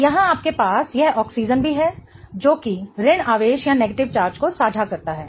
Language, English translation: Hindi, So, here you have this oxygen also sharing that negative charge